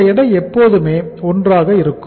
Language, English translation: Tamil, This weight is always 1